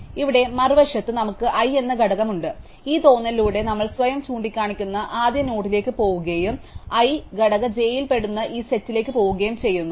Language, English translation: Malayalam, Here on the other hand, we have the element i and through this feel we go to the first node which points to itself and this set that a i belongs to component j